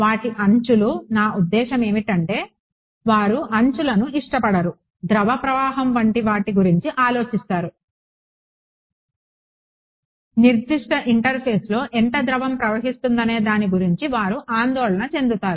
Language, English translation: Telugu, Their edges I mean they do not like edges what they are concerned about is, like fluid flow they are concerned about how much fluid is flowing across a certain interface